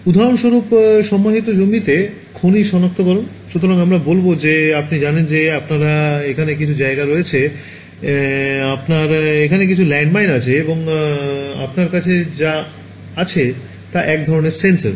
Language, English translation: Bengali, For example, buried land mine detection; so, let us say you know you have some ground over here, you have some landmine buried over here and what you have is some kind of a sensor